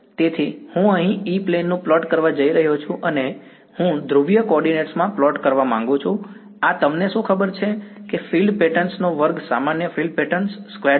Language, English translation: Gujarati, So, I am going to plot the E plane over here and I want to plot in polar coordinates what does this you know field patterns squared is normalized field pattern squared